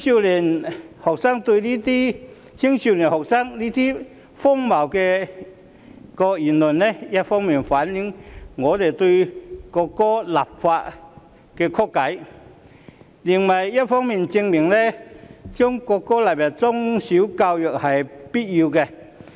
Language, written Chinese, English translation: Cantonese, 年輕學生的這些荒謬言論，一方面反映他們對就國歌立法的曲解，另一方面證明將國歌納入中小學教育是必須的。, Such preposterous remarks of young students not only reflect their misconception of the legislation on the national anthem but also prove that it is necessary to include the national anthem in primary and secondary education